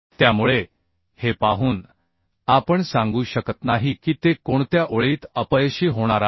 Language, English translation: Marathi, So by seeing we cannot tell that in which line it is going to fail